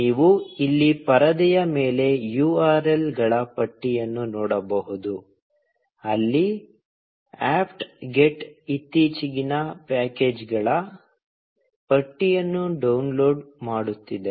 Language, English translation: Kannada, You can see a list of URLs here on the screen, from where the apt get is downloading the latest list of packages